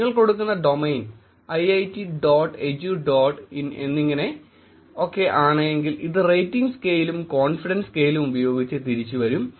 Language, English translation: Malayalam, If you give domain saying iiit dot edu dot in, it will actually come back with the rating scale and a confidence scale